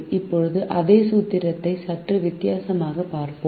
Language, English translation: Tamil, now let us look at the same formulation in a slightly different way